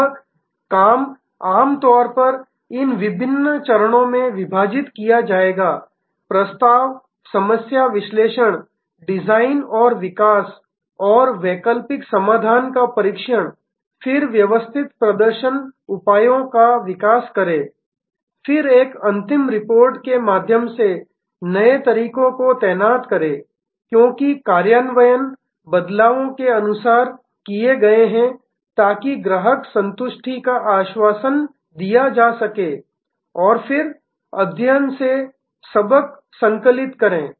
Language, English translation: Hindi, That work will be divided usually in these different steps proposal problem analysis design and develop and test alternative solution, then develop systematic performance measures, then deploy the new methods through a final report as the implementations are done of the changes assure client satisfaction and then, compile the lessons from the study